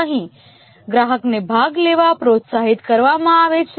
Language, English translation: Gujarati, Here the customer is encouraged to participate